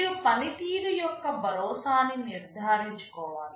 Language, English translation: Telugu, You need to ensure that performance is assured